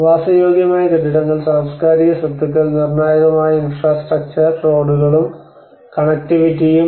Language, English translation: Malayalam, Residential buildings, cultural properties, and the critical infrastructure, and the roads and the connectivity